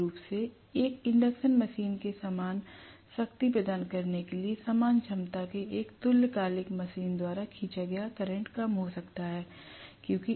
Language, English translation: Hindi, I can have basically lower current being drawn by a synchronous machine of the same capacity to deliver the same amount of power as that of an induction machine